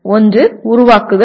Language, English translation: Tamil, One is generate